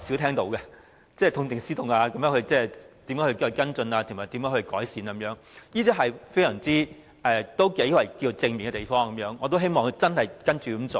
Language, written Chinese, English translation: Cantonese, 痛定思痛、如何跟進、作出改善，這些話是較少聽到的，亦是頗正面的，我也希望他真的會這樣做。, Such remarks are quite positive and rarely heard from the Government . I do hope that he will put his words into actions